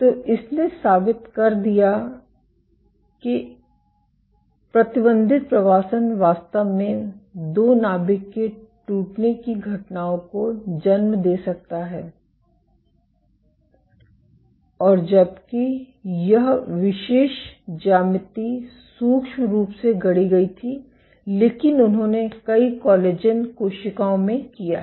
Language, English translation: Hindi, So, this proved that confine migration can indeed lead two nuclear rapture events, and while this particular geometry was micro fabricated, but they have done in multiple collagen cells